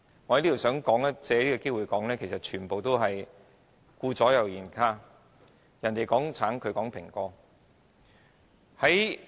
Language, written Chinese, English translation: Cantonese, 我想藉此機會表明這完全是顧左右而言他，別人在說橙，他們卻在說蘋果。, I wish to take this opportunity to assert that they are simply sidestepping the issue comparing apples to oranges